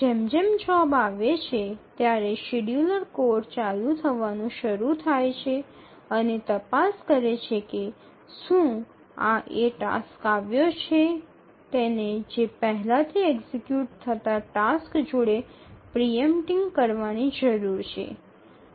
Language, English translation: Gujarati, So as the job arrives, the scheduler code starts running and checks whether this is a task which has arrived needs to be executed by preempting the already executing task